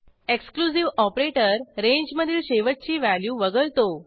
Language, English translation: Marathi, Exclusive range operator excludes the end value from the sequence